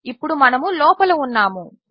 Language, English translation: Telugu, Now we are in